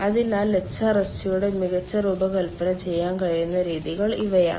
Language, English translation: Malayalam, so these are the methods by which we can have a better design of hrsg